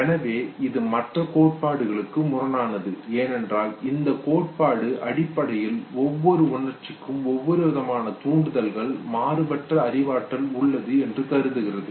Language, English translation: Tamil, So this is now in contrast to other theories, because this theory basically considers that different emotions are basically diverse cognition of the same arousal level that takes place